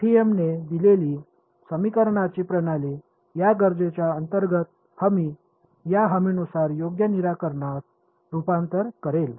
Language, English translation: Marathi, The system of equations that FEM gives will converge to the correct solution under this guarantee I mean under this requirement